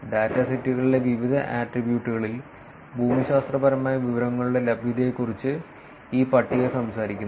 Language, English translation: Malayalam, This table talks about availability of geographic information in various attributes in the datasets